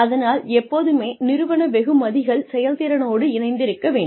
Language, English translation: Tamil, So, the organizational rewards should be tied with the performance